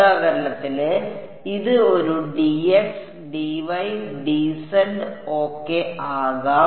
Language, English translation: Malayalam, For example, this could be a d x, d y, z hat ok